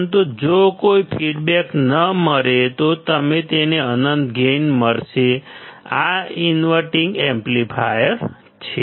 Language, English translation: Gujarati, But in case of no feedback you will have infinite gain, this is the inverting amplifier